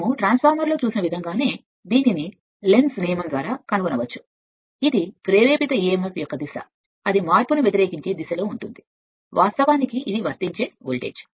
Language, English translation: Telugu, Now as per the your what you call for your transformer we have seen that this can be deduced by Lenz’s law which states that the direction of an induced emf is such as to oppose the change causing it which is of course, the applied voltage right